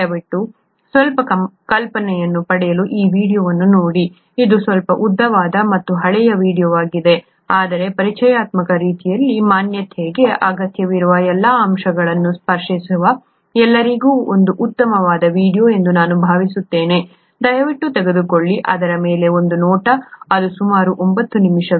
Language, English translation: Kannada, Please take a look at this video to get some idea, it’s a slightly longish and an old video, but I think it’s a nice video which gets to all the which touches upon all the necessary aspects for an introductory kind of an exposure, please take a look at that, it’s about 9 minutes long